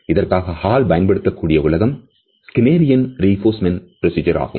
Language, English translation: Tamil, The world which Hall has used for it is the Skinnerian reinforcement procedure